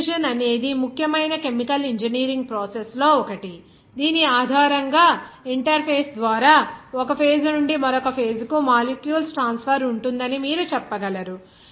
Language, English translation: Telugu, Diffusion is one of the important chemical engineering processes based on which you can say that that there will be a transfer of molecules from one phase to another phase through the interface